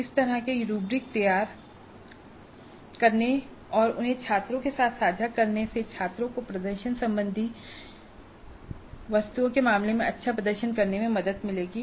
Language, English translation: Hindi, So, this kind of a rubric preparation and sharing them upfront with the students would help the students do well in terms of the performance related test items